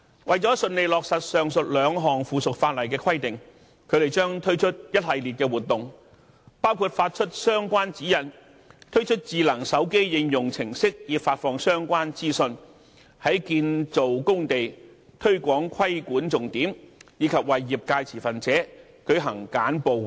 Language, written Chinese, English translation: Cantonese, 為了順利落實上述兩項附屬法例的規定，他們將推出一系列活動，包括發出相關指引，推出智能手機應用程式以發放相關資訊；在建造工地推廣規管重點；以及為業界持份者舉行簡報會等。, In order to facilitate the implementation of the two items of subsidiary legislation CIC will launch a series of activities including issuing guidelines launching a smartphone application to disseminate relevant information promoting the salient points of regulation on construction sites and organizing briefing sessions for industry stakeholders